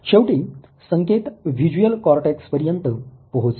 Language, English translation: Marathi, Finally the input reaches the visual cortex